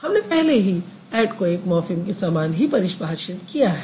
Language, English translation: Hindi, Add, we have already defined it as a morphem